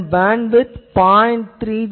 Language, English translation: Tamil, Its bandwidth it is 0